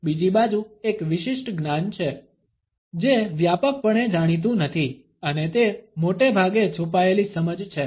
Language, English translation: Gujarati, Is a esoteric knowledge on the other hand; is no widely known and it is mostly a hidden understanding